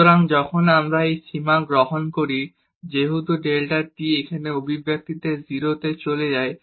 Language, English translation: Bengali, So, when we take the limit now as delta t goes to 0 in this expression here